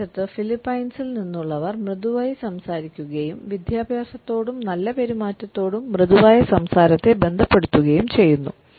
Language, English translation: Malayalam, On the other hand people from Philippines speak softly, associate a soft speech with education and good manners